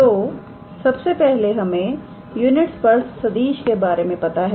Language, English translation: Hindi, So, first of all we know unit tangent vector, right